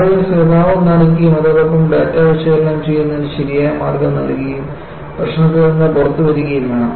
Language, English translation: Malayalam, So, people have to be sympathetic and provide proper way of analyzing data and come out of the problem